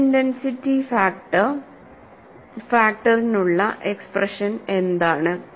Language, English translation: Malayalam, What is the expression for stress intensity factor